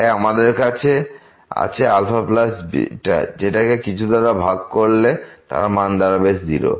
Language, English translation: Bengali, So, we have alpha plus beta divided by something which is going to